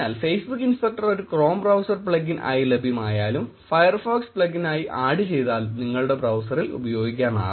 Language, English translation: Malayalam, Therefore, if a Facebook inspector is available as a Chrome browser plugin and as a Firefox plugin add on which you can use on your browser